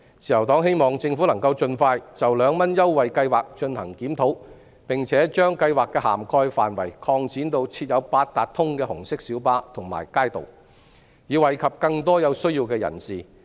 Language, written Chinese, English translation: Cantonese, 自由黨希望政府盡快就2元乘車優惠計劃進行檢討，並把計劃的涵蓋範圍擴展至設有八達通的紅色小巴和街渡，以惠及更多有需要的人士。, The Liberal Party hopes that the Government can conduct a review on the 2 concession scheme as soon as possible and extend the coverage of the scheme to red PLBs and kaitos on which Octopus cards can be used so as to benefit more people in need